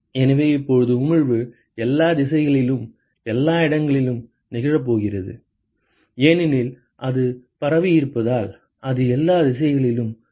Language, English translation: Tamil, So, now, the emission is going to occur at all locations in all directions, because it is diffuse it is going to be equal in all directions right